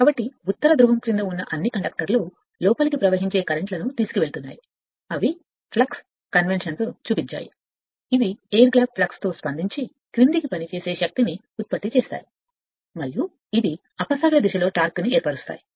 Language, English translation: Telugu, So, next is all the conductors under the north pole carry inward flowing currents that I showed with flux convention which react with their air gap flux to produce downward acting force, and it counter and the counter clockwise torque